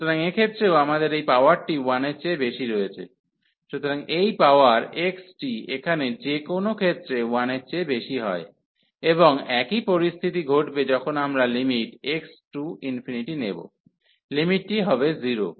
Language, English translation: Bengali, So, in this case also we have this power greater than 1, so this power x here is greater than 1 in any case, and the same scenario will happen that when we take the limit x approaches to infinity, the limit will be 0